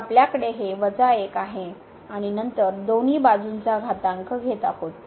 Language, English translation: Marathi, So, we have this minus 1 and then taking the exponential both the sides